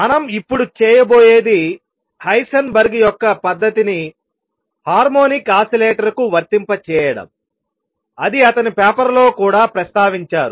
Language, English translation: Telugu, What we are going to do now is apply Heisenberg’s method to a harmonic oscillator which also heated in his paper